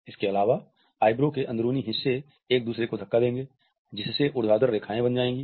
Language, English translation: Hindi, Also, the inner parts of the eyebrow will push together, forming those vertical lines again